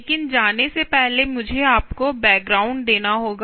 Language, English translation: Hindi, so let me give you a little bit of a background